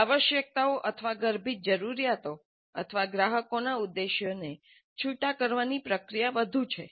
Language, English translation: Gujarati, So it is more a process of eliciting the requirements or the implicit needs or the intentions of the customers